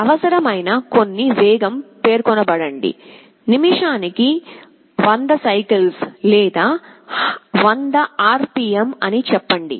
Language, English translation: Telugu, Some required speed is specified, let us say 100 revolutions per minute or 100 RPM